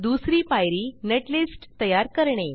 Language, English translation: Marathi, Second step is to generate netlist